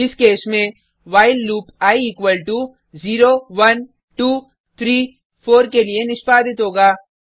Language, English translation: Hindi, In this case, while loop will get executed for i equal to 0, 1, 2, 3, 4